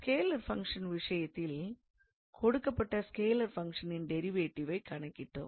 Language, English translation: Tamil, So, in case of scalar function, we calculated the derivative of a given scalar function